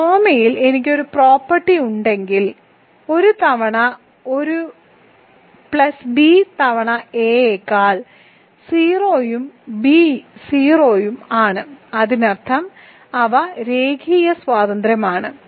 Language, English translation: Malayalam, If one comma I has a property that a times one plus b times is 0 than a and b are 0; that means, they are linearly independent